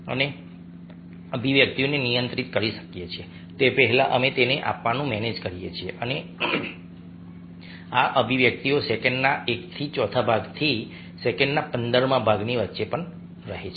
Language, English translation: Gujarati, we manage to give expressions before we able to control them and these expressions last anything between one by fourth of a second to one by fifteenth of a second